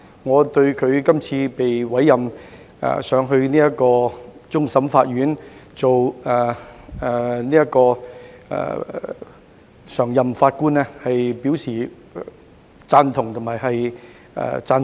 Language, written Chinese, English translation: Cantonese, 我對他這次被委任為終審法院常任法官，表示贊同及讚賞。, I concur with and appreciate the appointment of Mr Justice LAM as a permanent judge of the Court of Final Appeal CFA